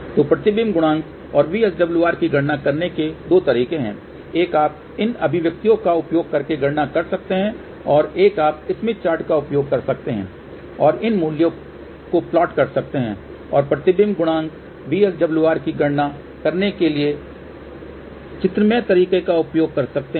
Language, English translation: Hindi, So, there are two ways to calculate reflection coefficient and VSWR ; one is you can calculate using these expression; another one is you can use smith chart and plot these values and use graphical way to calculate reflection coefficient and VSWR